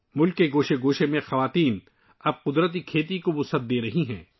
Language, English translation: Urdu, Women are now extending natural farming in every corner of the country